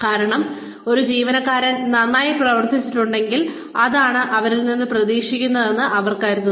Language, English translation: Malayalam, Because, they feel that, if an employee has performed well, that is what is expected of them